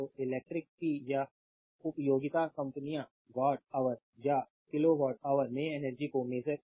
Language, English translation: Hindi, So, the electric power utility companies measure energy in watt hour or kilo watt hour right